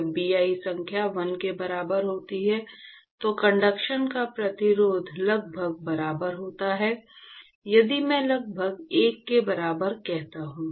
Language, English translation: Hindi, When Bi number is equal to 1, the resistance to conduction is almost equal to if I say almost equal to 1